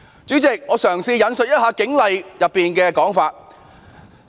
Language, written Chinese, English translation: Cantonese, 主席，我引述《警察通例》的一些規定。, President I will now quote some of the rules in the Police General Orders PGOs